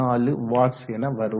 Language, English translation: Tamil, 24 watts so 20